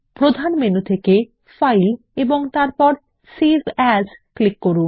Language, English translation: Bengali, From the Main menu, click File and Save As